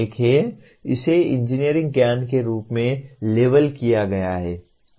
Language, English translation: Hindi, It is labelled as engineering knowledge